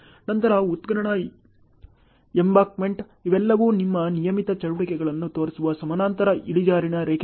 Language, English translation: Kannada, Then excavation, embankment, these are all parallel inclined lines which shows your regular activities ok